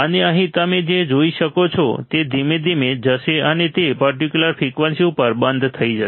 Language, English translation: Gujarati, And here what you will see it will go slowly and it will stop at certain frequency right